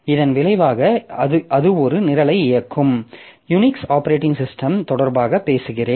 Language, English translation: Tamil, So, this is one program that creates processes in Unix operating system